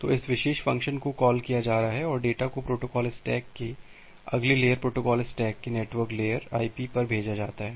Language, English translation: Hindi, So, this particular function is being called and the data is sent to IP, the next layer of the protocol stack, the network layer of the protocol stack